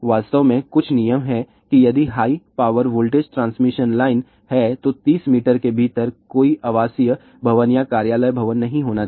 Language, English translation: Hindi, In fact, there are certain rules are there that ok if there are high power voltage transmission line, then within 30 meter , there should be no residential building or office building